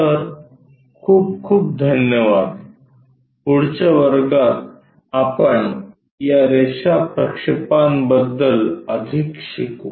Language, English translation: Marathi, So, thank you very much in the next class we will learn more about these line projections